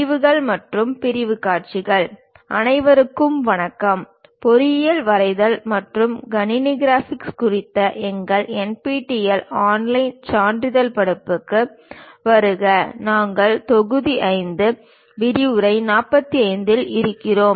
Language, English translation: Tamil, MODULE 02 LECTURE 45: Sections and Sectional Views Hello everyone, welcome to our NPTEL online certification courses on Engineering Drawing and Computer Graphics; we are at module number 5, lecture 45